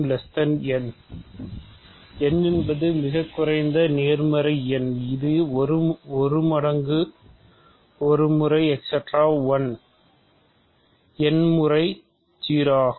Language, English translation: Tamil, So, n is the least positive integer such that 1 times 1 times 1 plus 1 plus 1 plus 1 n times is 0